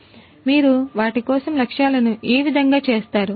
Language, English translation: Telugu, So, how you can set the objectives for them